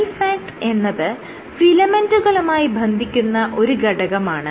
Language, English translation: Malayalam, So, lifeact is an entity which binds to filaments